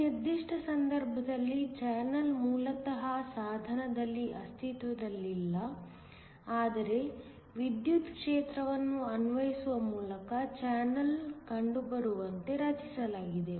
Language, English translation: Kannada, In this particular case, the channel did not exist originally in the device, but was created by applying an electric field so that the channel was found